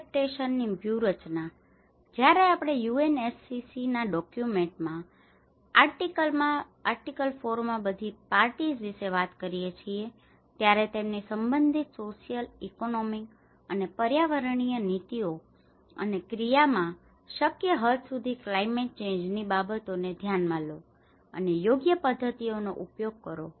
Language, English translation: Gujarati, Adaptation strategies; when we talk about all parties in article 4 in UNFCCC document; take climate change considerations into account to the extent feasible in their relevant social, economic and environmental policies and actions and employ appropriate methods